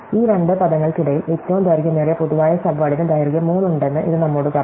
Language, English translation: Malayalam, So, this tells us that between these two words, the longest common subword has length 3